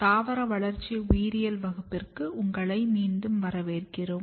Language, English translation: Tamil, Welcome to Plant Developmental Biology course